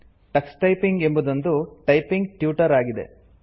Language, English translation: Kannada, Tux Typing is a typing tutor